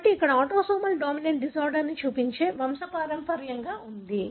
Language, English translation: Telugu, So here is a is a pedigree which shows a autosomal dominant disorder